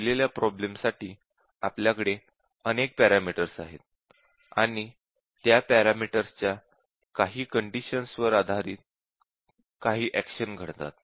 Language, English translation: Marathi, So, given a problem, where we have number of parameters, and based on some conditions on those parameters, we have some actions that take place